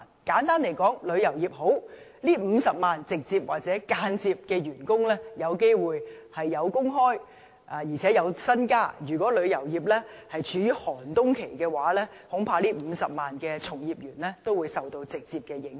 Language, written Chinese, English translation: Cantonese, 簡單來說，旅遊業好，這50萬名直接或間接員工便有工作機會，而且可以加薪，如果旅遊業處於寒冬期，這50萬名從業員恐怕都會受到直接影響。, Simply put when the tourism industry is flourishing these 500 000 direct or indirect employees will be in employment and even have a pay rise . If the tourism industry is experiencing a bleak winter I am afraid these workers will be directly affected